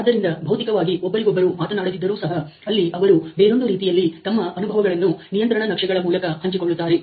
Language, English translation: Kannada, So, without physically talking to each other, there is a way to sort of share their experiences using the control chart